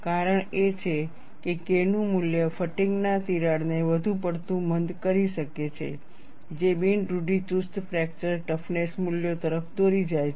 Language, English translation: Gujarati, The reason is, a high value of K may blunt the fatigue crack too much, leading to un conservative fracture toughness values